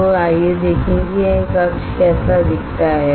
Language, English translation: Hindi, So, let us see how this chamber looks like